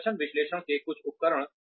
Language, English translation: Hindi, Some tools of performance analysis